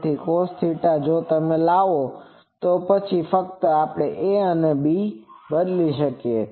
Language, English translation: Gujarati, So, that cos theta if you bring, then this one we simply that a and b replacement